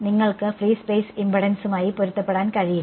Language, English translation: Malayalam, You cannot match the free space impedance